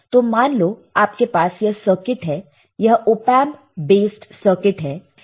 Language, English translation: Hindi, So, suppose let us say you have this circuit ok, you have this op amp based circuit